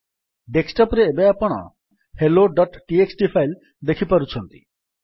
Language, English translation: Odia, Now on the desktop you can see the file hello.txt